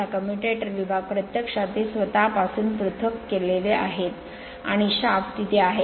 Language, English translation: Marathi, This commutator segment actually they are insulated from themselves right and their they actually that shaft is there